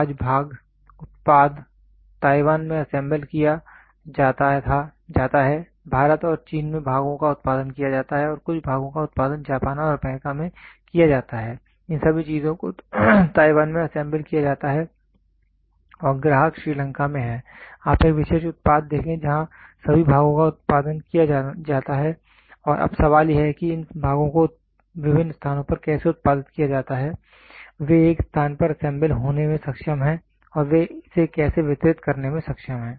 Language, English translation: Hindi, Today part, the product is assembled at Taiwan, the parts are produced at India and China and some parts are produced in Japan and USA all these things get assembled at Taiwan and the customer is in Sri Lanka, you see for one particular product you see where all the parts are produced and now the question comes is how are these parts produced at different places they are able to get assembled at one place and how are they able to deliver it